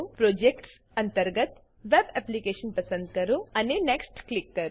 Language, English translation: Gujarati, Under Projects, select Web Application , and click Next